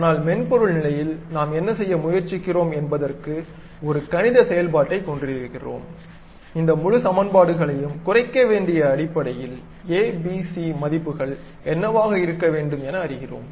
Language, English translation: Tamil, But a software level, what we are trying to do is we straight away have a mathematical functions, minimize these entire equations based on what should be the a, b, c values, that is the way most of the software works